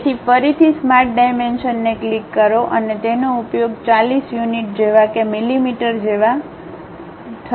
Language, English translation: Gujarati, So, again click the Smart Dimensions and use it to be 40 units like millimeters ok